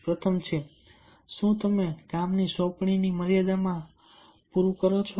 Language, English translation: Gujarati, first is: do you meet assignment deadlines